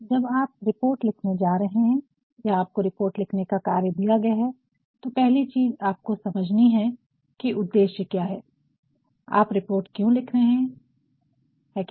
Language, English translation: Hindi, When you are going to write a report or you have been given the task of writing a report, first you have to understand, what is the purpose, why you are writing this report, is not it